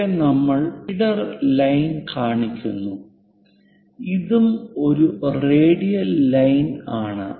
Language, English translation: Malayalam, Here we are showing leader line this is also a radial line